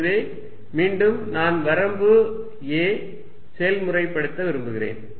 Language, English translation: Tamil, So, again I am going to use a limiting process